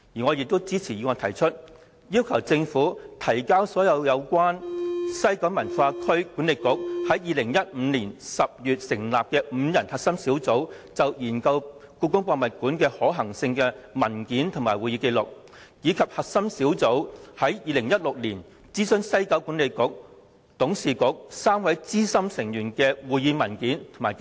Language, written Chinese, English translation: Cantonese, 我亦支持議案提出要求，政府須提交所有關於西九管理局於2015年10月成立5人核心小組就研究故宮館的可行性的文件和會議紀錄，以及核心小組於2016年諮詢西九管理局董事局3位資深成員的會議文件及紀錄。, I also support the demand in the motion requiring the Government to produce all documents and minutes of meetings regarding the five - member core team set up in October 2015 to explore the feasibility of building HKPM and to produce all meeting documents and minutes of meetings in connection with the consultation of three senior members of the WKCDA Board in 2016